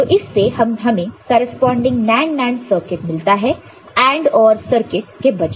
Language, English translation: Hindi, So, from that you get the corresponding NAND NAND circuit instead of AND, OR circuit